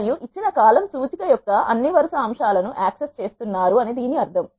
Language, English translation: Telugu, This means you are accessing all the row elements of a given column index